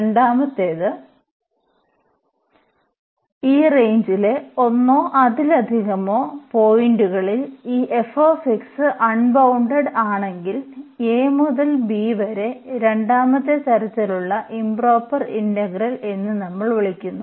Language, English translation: Malayalam, The second, if this f x is unbounded at one or more points in this range a to b then we call improper integral of second kind